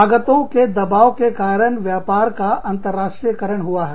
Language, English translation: Hindi, Pressure on costs has led to, the internationalization of business